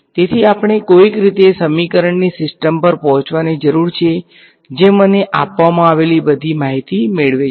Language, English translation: Gujarati, So, we need to somehow arrive at a system of equations which captures all the information that is given to me